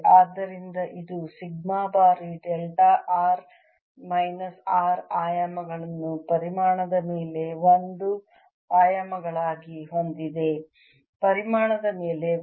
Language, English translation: Kannada, therefore this has dimensions of sigma times delta r minus r as dimensions of one over the volume, ah, one over the volume